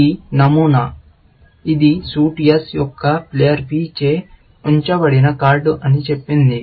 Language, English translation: Telugu, This is the pattern, which says that is the card held by player P of suit S